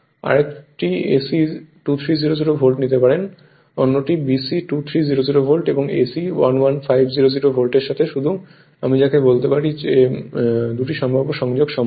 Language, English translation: Bengali, Another you can take AC 2300 volt, another is BC, BC 2300 volt and AC will be 11500 volt, just I you are what you call just 2 possible connection possible right with these